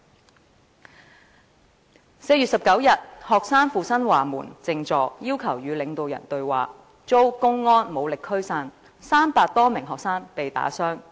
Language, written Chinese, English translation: Cantonese, 在4月19日，學生赴新華門靜坐，要求與領導人對話，遭公安武力驅散 ，300 多名學生被打傷。, On 19 April the students went to Xinhuamen and held a sit - in there demanding a dialogue with the leadership . They were dispersed by force by public security officers and more than 300 students were beaten up